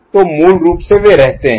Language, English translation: Hindi, So, basically they do remain, ok